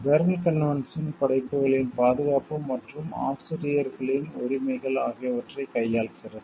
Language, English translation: Tamil, The Berne convention deals with the protection of works and the rights of the authors